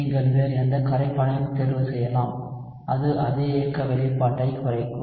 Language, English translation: Tamil, You can choose any other solvent and it will boil down to the same kinetic expression